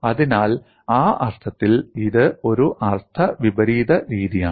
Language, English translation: Malayalam, So, in that sense, it is a semi inverse method